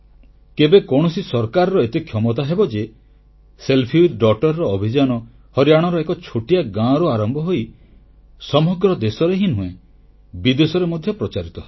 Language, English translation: Odia, Who would have imagined that a small campaign "selfie with daughter"starting from a small village in Haryana would spread not only throughout the country but also across other countries as well